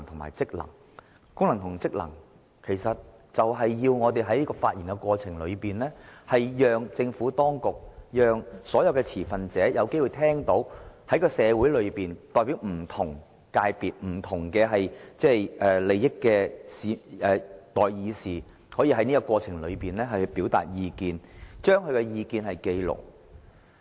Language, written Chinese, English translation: Cantonese, 為了履行該等職權，我們須透過發言，讓政府當局及所有持份者聽到代表社會上不同界別及不同利益的代議士所表達的意見，並須把這些意見記錄下來。, To exercise these powers and functions we must express our views so that the Administration and all stakeholders will hear the views expressed by Members representing different sectors of society and different interests and it is essential for these views to be recorded